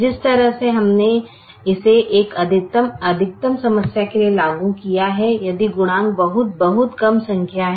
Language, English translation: Hindi, they way by which we implemented is for a maximization problem, if the co efficient is very, very small number